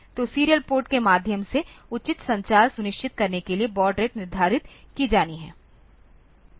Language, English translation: Hindi, So, thus baud rates are to be set for ensuring proper communication through the serial port